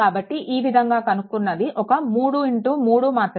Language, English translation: Telugu, So, this way you can find out so, this is a 3 into 3 matrix